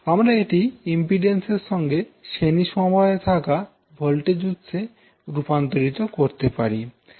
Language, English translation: Bengali, So you can convert it back into a current voltage source in series with the impedance